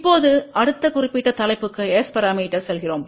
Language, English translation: Tamil, Now, we are going to the next particular topic which is S parameters